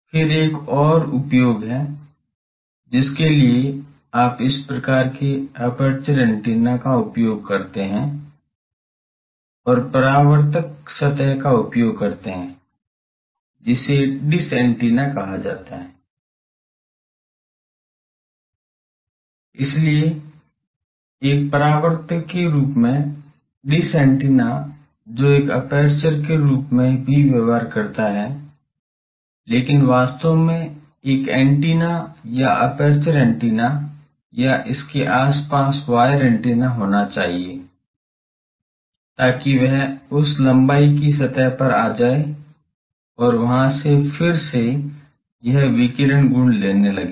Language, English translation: Hindi, Then there are another use that you use a this type of aperture antenna and use reflecting surface which is called dish antenna, so as a reflector that dish antenna that also behaves as an aperture, but actually there should be an antenna some aperture antenna or some wire antenna at its nearby, so that that comes to that length surface and from there it again starts takes this radiation properties